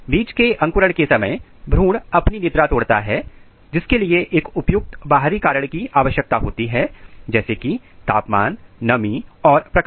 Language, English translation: Hindi, The embryo breaks their dormancy during seed germination and which requires a proper external cues such as temperature, moisture and lights